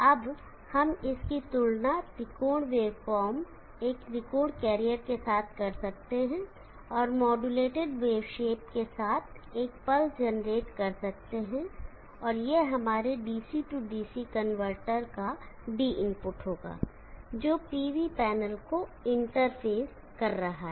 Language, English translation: Hindi, Now this we can compare it with a triangle way form, a triangle carrier, and generate a pulse with modulated wave shape, this will be the D input to our DC DC converter which is interfacing the PV panel